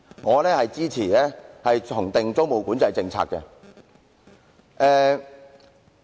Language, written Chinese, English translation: Cantonese, 我支持重訂租務管制政策。, I support the reintroduction of the policy of tenancy control